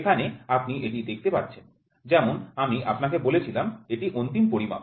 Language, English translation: Bengali, So, here you see it is as I told you it is end measurement